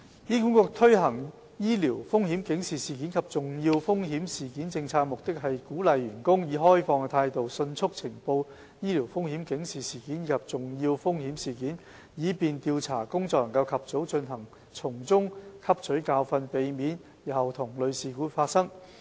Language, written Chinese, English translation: Cantonese, 醫管局推行醫療風險警示事件及重要風險事件政策的目的，是鼓勵員工以開放態度迅速呈報醫療風險警示事件及重要風險事件，以便調查工作能及早進行，並從中汲取教訓，避免日後同類事故發生。, By implementing the Policy HA intends to encourage its staff to report sentinel and serious untoward events in a timely and open manner to facilitate early investigation so that lessons can be learnt from the events to prevent the recurrence of similar incidents in the future